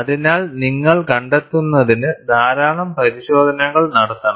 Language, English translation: Malayalam, So, you have to do a lot of tests, to find out